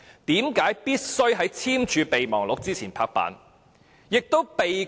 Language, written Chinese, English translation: Cantonese, 為何必須在簽署備忘錄前"拍板"？, Why was it necessary to make this appointment before signing the Memorandum of Understanding?